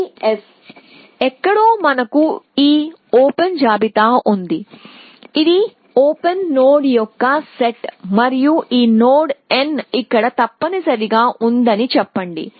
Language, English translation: Telugu, So, this is S and then somewhere we have this open list, this is the set of open node and let us say this node n is here essentially